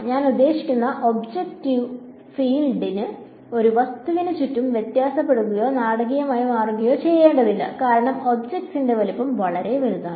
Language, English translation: Malayalam, So, the object I mean the field need not vary or change dramatically around an object because object size is so large